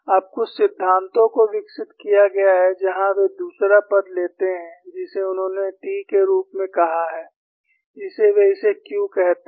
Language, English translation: Hindi, Now, some theories have been developed, where they take the second term, which they called it as t, which they call it as q